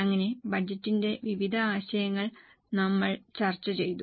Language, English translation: Malayalam, So, we have discussed various concepts of budgets